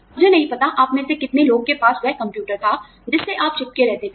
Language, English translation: Hindi, I do not know, how many of you have, had that computer, where you would stick in